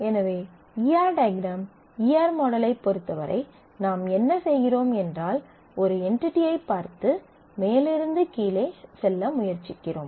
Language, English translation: Tamil, So, in terms of the E R diagram E R model what we do is we try to look at the entity A and move top down